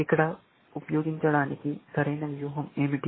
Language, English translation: Telugu, What is the correct strategy to use here